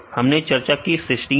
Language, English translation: Hindi, So, we discussed cysteine